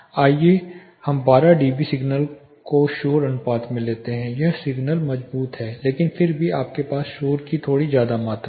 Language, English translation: Hindi, Let us take say 12 db signal to noise ratio that is signal is strong, but still you have little amount of noise